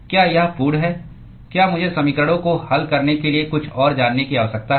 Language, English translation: Hindi, Is it complete do I need to know something else to solve the equations